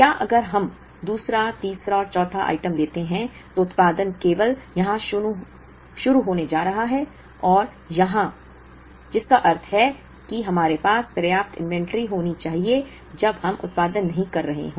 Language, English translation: Hindi, Whether, if we take the second, third and fourth items, there production is going to start only here, here and here, which means we should have enough inventory to consume when we are not producing